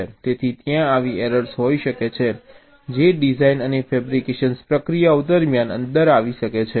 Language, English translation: Gujarati, so there can be such errors that can creep in during the design and fabrication processes